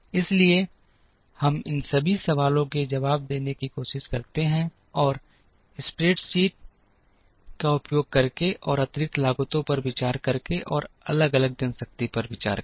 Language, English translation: Hindi, So, we try to answer all these questions, using another spreadsheet and by considering additional costs and also by considering varying manpower